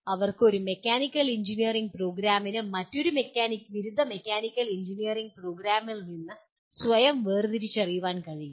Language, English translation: Malayalam, They can, one Mechanical Engineering program can differentiate itself from another undergraduate mechanical engineering program